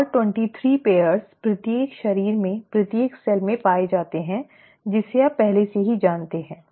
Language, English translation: Hindi, And the 23 pairs are found in each cell in each body, that that you already know